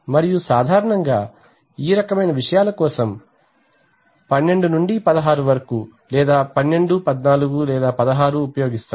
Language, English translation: Telugu, And generally for this kind of things 12 to16 are used 12, 14 or 16